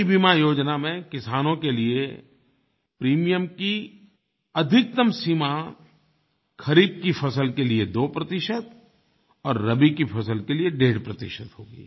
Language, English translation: Hindi, In the new insurance scheme for the farmers, the maximum limit of premium would be 2 percent for kharif and 1